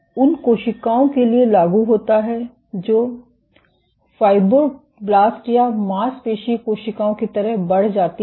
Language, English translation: Hindi, This is applicable for cells which are elongated like fibroblasts or muscle cells